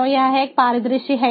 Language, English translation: Hindi, so this is one scenario